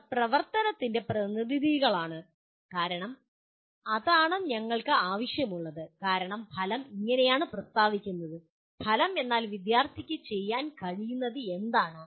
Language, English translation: Malayalam, They are representative of action because that is the way we require because outcome is stated as, outcome is what the student should be able to do